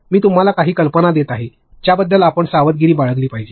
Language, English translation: Marathi, I am just giving you a few you know ideas in which you should be careful about